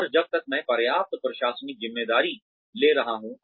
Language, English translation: Hindi, And, as long as, I am taking on, enough administrative responsibility